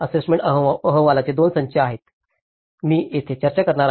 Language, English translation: Marathi, There are two sets of assessment reports, I am going to discuss here